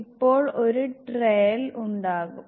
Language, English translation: Malayalam, Now there will be a trial